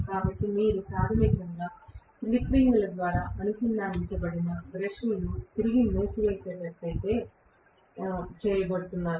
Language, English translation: Telugu, So you are going to have basically the brushes connected through the slip rings back to the winding